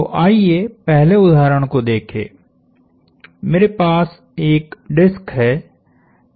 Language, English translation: Hindi, So, let us look at the first example; I have a disc